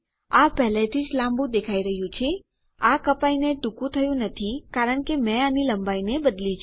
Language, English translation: Gujarati, This is looking longer already, it hasnt been cut short because I have changed the length of this